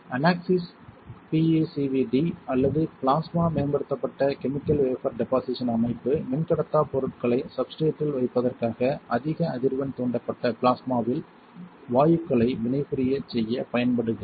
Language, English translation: Tamil, The unaxis PECVD or plasma enhanced chemical vapour deposition system is used to cause gases to react in a high frequency induced plasma in order to deposit dielectric materials onto substrates